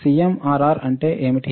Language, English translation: Telugu, What is CMRR